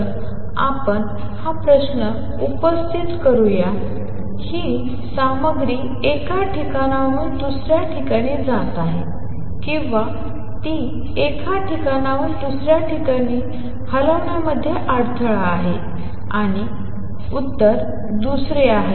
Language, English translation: Marathi, So, let us raise this question; is it a material moving from one place to another or is it a disturbance moving from one place to another and the answer is second one